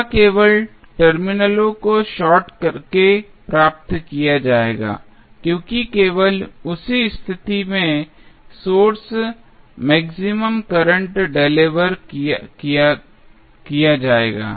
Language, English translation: Hindi, It will be achieved simply by sorting the terminals because only at that condition the maximum current would be delivered by the source